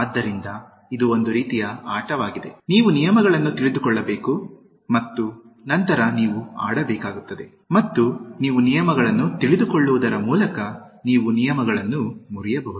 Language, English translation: Kannada, So, it is a kind of game, you need to know the rules and then you have to play, and you also need to know the rules so that you can break the rules